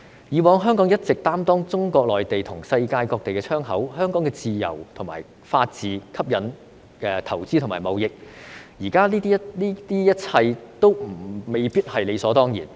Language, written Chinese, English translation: Cantonese, 以往香港一直擔當中國內地和世界各地的窗口，香港的自由和法治吸引投資和貿易，現在這一切都未必是理所當然。, In the past Hong Kong has always served as a window to the Mainland of China and the rest of the world . The freedom and the rule of law in Hong Kong have attracted investment and trade and now all of these things cannot be taken for granted